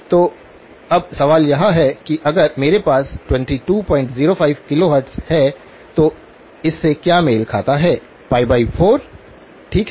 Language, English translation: Hindi, So, now the question is if I have 22 point 05 kilohertz, what does that correspond to; pi by 4, okay